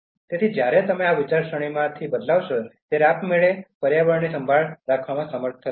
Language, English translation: Gujarati, So, when you change to this mind set so automatically will be able to care for the environment